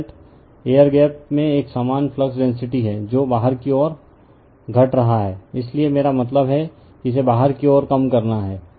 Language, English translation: Hindi, The result is non uniform flux density in the air gap that is decreasing outward right, so I mean decreasing your it is outwards